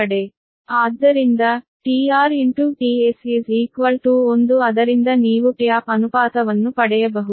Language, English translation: Kannada, so from the t r into t s one, from that you can get the tap ratios